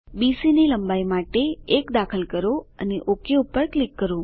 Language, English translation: Gujarati, 1 for length of BC and click OK